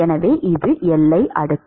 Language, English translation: Tamil, So, this is the boundary layer